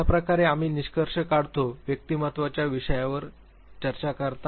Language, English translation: Marathi, With this way we conclude are discussion on the topic of personality